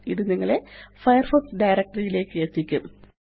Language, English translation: Malayalam, This will take you to the Firefox directory